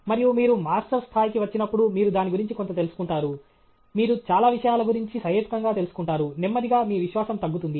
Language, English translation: Telugu, And when you come to Masters level, you get to know something about… you get to know reasonably enough about many things okay, and slowly, your confidence goes down